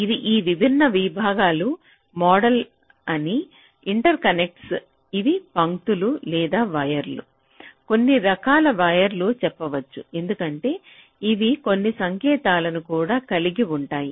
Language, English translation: Telugu, these are the interconnects i am talking, these are the lines or wires you can say some kind of wires, because they will be carrying some signals